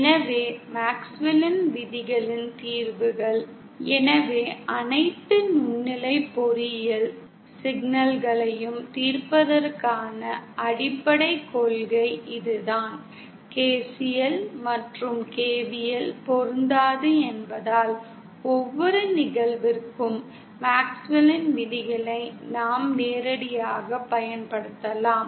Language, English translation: Tamil, So the solutions of the MaxwellÕs lawsÉ So this is the fundamental principle behind solving all microwave engineering problems that since KCL and KVL are not applicable, we can directly apply MaxwellÕs laws to every instance